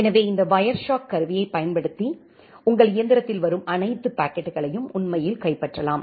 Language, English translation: Tamil, So, that way using this Wireshark tool you can actually capture all the packets which is coming in your machine